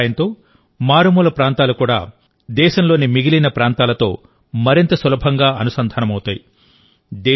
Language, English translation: Telugu, With the help of this, even the remotest areas will be more easily connected with the rest of the country